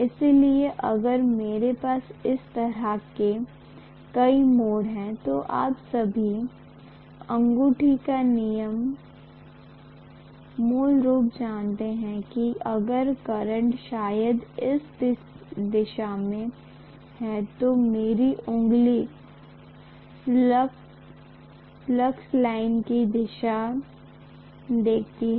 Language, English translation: Hindi, So if I have so many turns like this, all of you know that thumb rule basically that if I am having probably a current in this direction, my finger show direction of the flux lines